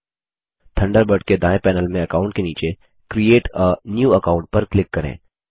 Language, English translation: Hindi, From the right panel of the Thunderbird under Accounts, click Create a New Account